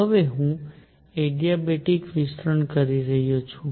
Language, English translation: Gujarati, Now I am taking an adiabatic expansion